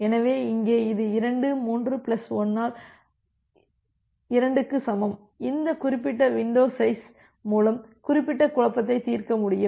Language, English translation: Tamil, So, here it is equal to 2 3 plus 1 by 2 equal to so, with this particular window size we are able to resolve this particular confusion